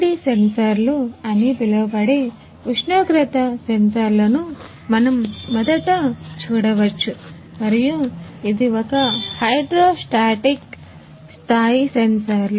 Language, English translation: Telugu, We can first see the see the what temperatures sensors called RTD sensors and this one is a hydrostatic level sensors